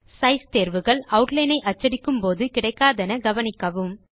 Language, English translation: Tamil, Notice once again, that Size options are not available when we print Outline